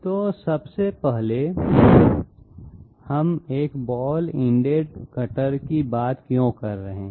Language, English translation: Hindi, So 1st of all why are we talking about a ball ended cutter